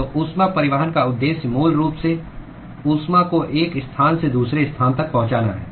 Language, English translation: Hindi, So, the purpose of heat transport is basically to transport heat from one location to another